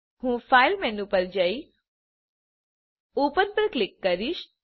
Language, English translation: Gujarati, I will go to file menu amp click on open